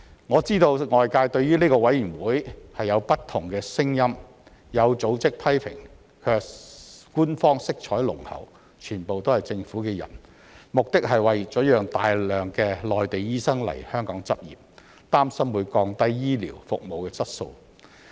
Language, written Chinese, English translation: Cantonese, 我知道外界對於這個委員會有不同的聲音，有組織批評官方色彩濃厚、全部是政府的人，目的是為了讓大量內地醫生來香港執業，擔心會降低醫療服務質素。, I know that there are different voices on SRC . Some organizations criticize the bureaucratic overtone of SRC with all of its members being appointed by the Government . These organizations think that the purpose is to allow a large number of Mainland doctors to practise in Hong Kong and they are worried that the initiative may lower the quality of medical services